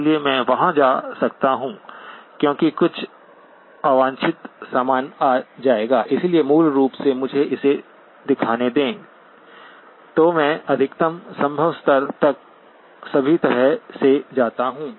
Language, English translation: Hindi, So I can go there because some unwanted stuff will come, so basically let me show it with; so I go all the way to the maximum level possible